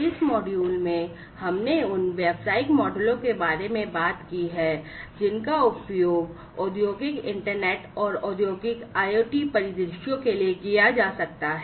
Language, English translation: Hindi, In this module, we have talked about the business models that could be used for Industrial internet and Industrial IoT scenarios